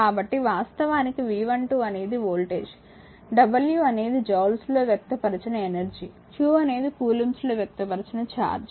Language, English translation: Telugu, So, voltage actually that is your V 12 actually dw of dw by dq the w is the energy in joules and q the charge in coulomb